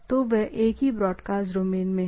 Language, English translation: Hindi, So, they are in the same broadcast domain